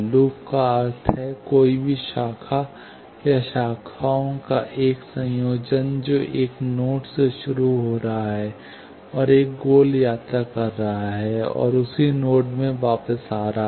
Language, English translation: Hindi, Loop means, any branch, or a combination of branches, which is starting from a node and making a round trip, and coming back to the same node